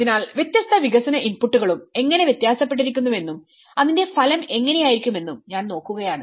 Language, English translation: Malayalam, So, I am looking at how different development inputs also vary and how the outcome will be